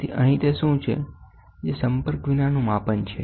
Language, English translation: Gujarati, So, here what is the beauty that is non contact measurement